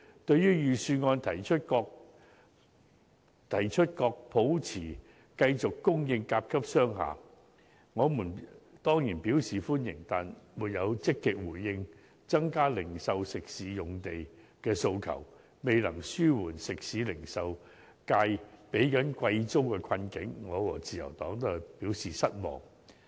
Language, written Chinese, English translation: Cantonese, 對於預算案提出確保持續供應甲級商廈，我們當然表示歡迎，但當局沒有積極回應增加零售及食肆用地的訴求，未能紓緩食肆及零售業界正在支付貴租的困境，我和自由黨均表示失望。, We of course welcome the assurance of a continued supply of Grade A office space in the Budget . However along with the Liberal Party I am disappointed to see the authorities refusal to actively respond to the requests for increasing retail and dining sites and their failure to ease the hardship of the retail and catering sectors arising from high rents